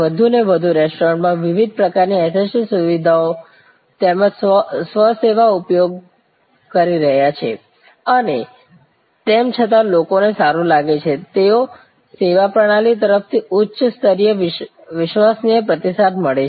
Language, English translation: Gujarati, More and more restaurants are using the different types of SST facilities as well as self service and yet people feel good, they get a high level of reliable response from the service system